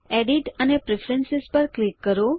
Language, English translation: Gujarati, Click on Edit and then on Preferences